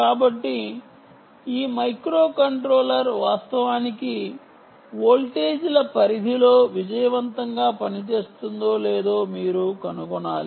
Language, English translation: Telugu, so you should find out whether this microcontroller can actually work successfully over a range of voltages